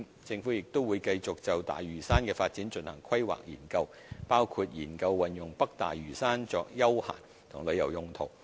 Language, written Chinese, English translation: Cantonese, 政府亦會繼續就大嶼山的發展進行規劃研究，包括研究運用北大嶼山作休閒及旅遊用途。, The Government will also continue to conduct planning studies on the development of Lantau including studies on using North Lantau for the purposes of recreation and tourism